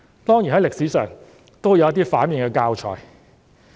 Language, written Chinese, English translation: Cantonese, 當然，歷史上也有一些反面教材。, Of course there were also cases showing just the opposite in history